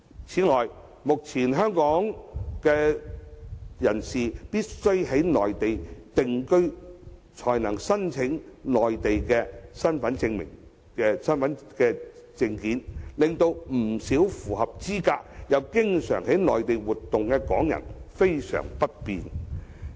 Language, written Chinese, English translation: Cantonese, 此外，目前港人必須在內地定居才能申領內地身份證，令不少符合資格而又經常到內地活動的港人相當不便。, Moreover at present Hong Kong residents can only apply for Mainland identity cards after they have settled in the Mainland . This requirement has caused much inconvenience to Hong Kong residents who frequently go to the Mainland